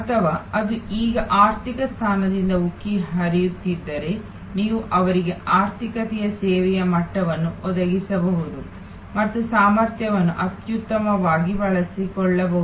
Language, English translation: Kannada, Or if it is now catering to the overflow from the economy seat, you can provide them the economy level of service and manage to optimally utilize the capacity